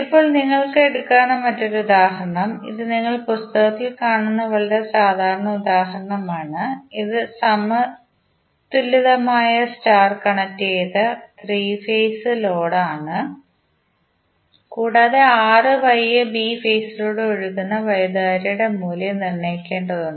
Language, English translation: Malayalam, Now, another example which you can take and this is very common example you will see in book, this is balanced star connected 3 phase load and we need to determine the value of currents flowing through R, Y and B phase